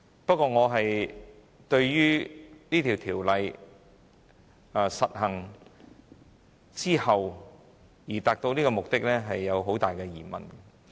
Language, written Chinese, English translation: Cantonese, 不過，我對於《條例草案》落實後的成效存有很大疑問。, However I have serious doubts about the effectiveness of the Bill upon its enactment